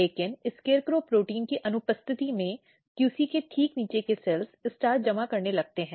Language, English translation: Hindi, But in absence of SCARECROW protein, the cells just below the QC they start accumulating starch